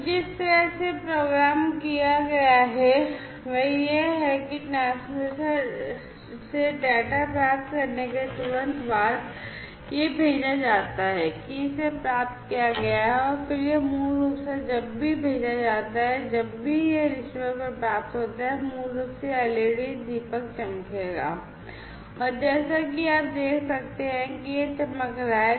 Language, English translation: Hindi, So, the way it has been programmed is that the immediately after receiving the data from the transmitter it is once it is sent it is received and then it is basically, you know, whenever it is sent whenever it is received this receiver, basically will make this lamp the led lamp glow right and as you can see that it is glowing